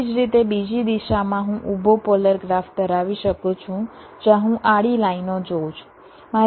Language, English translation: Gujarati, similarly, in the other direction, i can have a vertical polar graph where i look at the horizontal lines